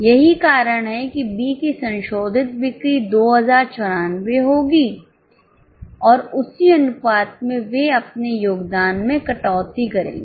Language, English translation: Hindi, That is why the revised sales of B will be 2094 and in the same proportion they would cut down their contribution